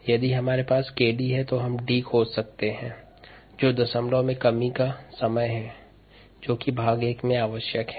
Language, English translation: Hindi, if we have k d, we can find out d, which is the decimal reduction time, which is what is you required in part a